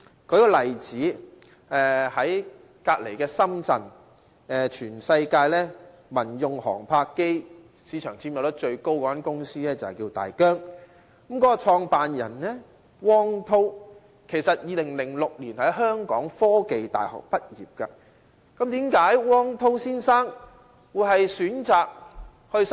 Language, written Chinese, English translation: Cantonese, 舉一個例子，一家落戶在隔鄰深圳的公司叫大疆，是全世界民用航拍機市場佔有率最高的公司，其創辦人汪滔，是2006年香港科技大學的畢業生。, Take for example DJI an enterprise situated in the neighbouring city Shenzhen enjoys the worlds biggest market share in civilian drones for aerial photography . Its founder Frank WANG is a 2006 graduate of The Hong Kong University of Science and Technology